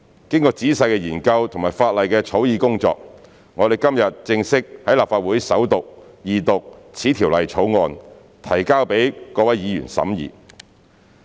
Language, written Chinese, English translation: Cantonese, 經過仔細的研究和法例草擬工作，我們今天正式在立法會首讀、二讀《條例草案》，提交予各位議員審議。, After thorough study and drafting of legislation we present the Bill to Honourable Members for scrutiny by formally proceeding with its First Reading and Second Reading in the Legislative Council today